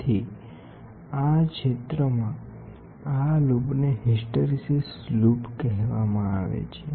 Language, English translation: Gujarati, So, this area, this loop is called as hysteresis loop